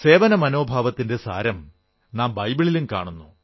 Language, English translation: Malayalam, The essence of the spirit of service can be felt in the Bible too